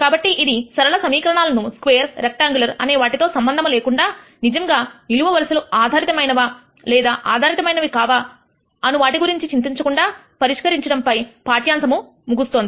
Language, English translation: Telugu, So, this concludes the section on solving linear equations irrespective of whether it is a square or a rectangular system or not, worrying about really whether the columns are dependent independent and so on